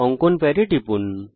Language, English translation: Bengali, Click on the drawing pad